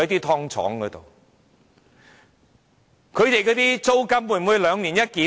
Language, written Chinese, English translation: Cantonese, 他們的租金會否兩年一檢？, Is their rent reviewed once every two years?